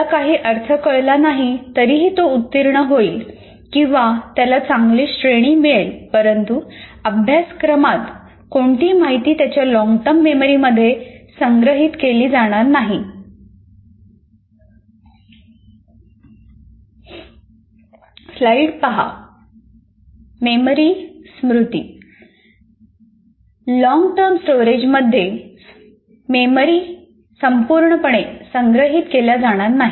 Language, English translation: Marathi, If he doesn't find meaning, you may pass, you may get still a grade, but none of that information will get stored in the long term memory